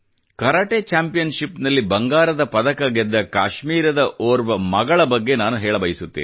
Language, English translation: Kannada, Let me tell you about one of our daughters from Kashmir who won a gold medal in a Karate Championship in Korea